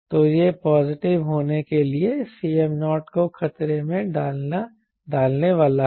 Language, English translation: Hindi, so that is going to jeopardize c m naught to be positive